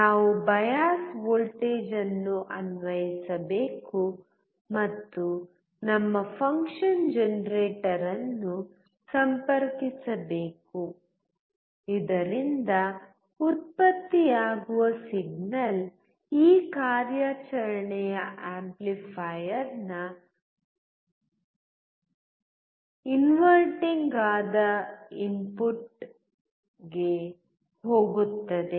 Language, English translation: Kannada, We must apply the bias voltage and connect our function generator so that the signal generated goes to the non inverting input of this operation amplifier